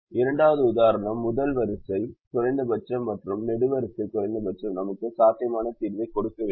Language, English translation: Tamil, the first was the state forward example, where the row minimum, column minimum, subtraction gave us a feasible solution and which was optimum